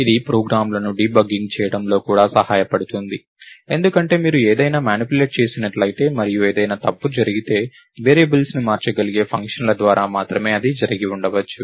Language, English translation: Telugu, This can also help in debugging programs because if you manipulated something and if something went wrong, it could have happened only through functions that manipulate that can manipulate the variables